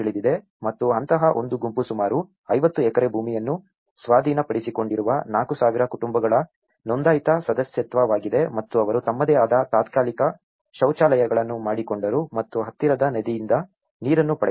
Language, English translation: Kannada, And one such group is Nyandarua registered membership of 4,000 households which has acquired about 50 acres land and they made their own makeshift latrines and obtained water from a nearby river